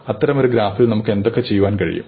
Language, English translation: Malayalam, Now what do you want to do with such a graph